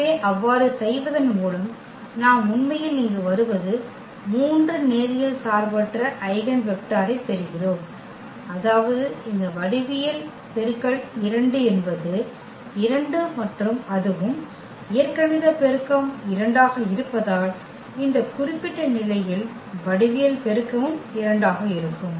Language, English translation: Tamil, So, by doing so what we are actually getting here we are getting 3 linearly independent eigenvector meaning this geometric multiplicity of 2 is 2 and also it is; as the algebraic multiplicity is 2, also the geometric multiplicity in this particular case is coming to be 2